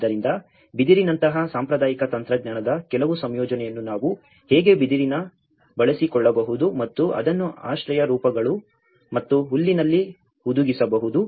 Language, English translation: Kannada, So, even some incorporation of traditional technology like bamboo how we can make use of bamboo and embed that in the shelter forms and thatch